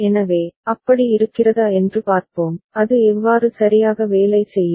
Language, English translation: Tamil, So, let us see if such is the case, how it would work out ok